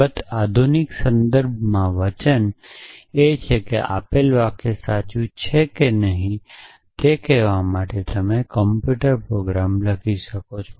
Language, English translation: Gujarati, Of course, in the modern context the promise is that you can write a computer program to tell you whether the given sentence is true or not